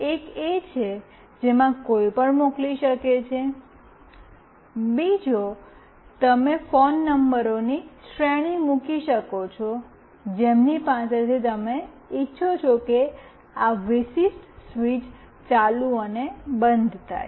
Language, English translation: Gujarati, One anybody can send, another you can put series of phone numbers from whom you want this particular switch ON and OFF to happen